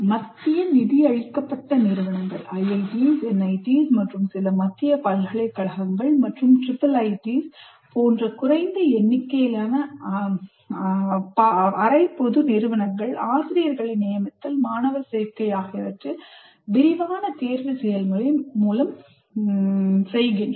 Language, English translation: Tamil, Now, centrally funded institutions, IITs, NITs, and some central universities and a small number of semi public institutions like triple ITs, recruit faculty and admit students through elaborate selection process